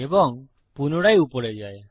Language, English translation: Bengali, And then go back to the top